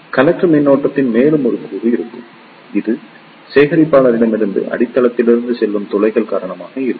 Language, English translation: Tamil, There will be one more component of collector current which will be due to the holes passing from collector to the base